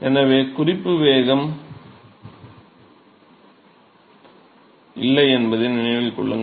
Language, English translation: Tamil, So, remember that there is no reference velocity